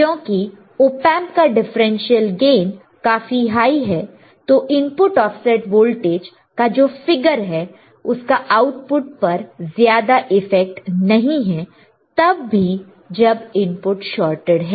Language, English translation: Hindi, This is one way of offset in the voltage be being that Op Amp differential gains are high the figure for input offset voltage does not have to be much effect on the output even though inputs are shorted right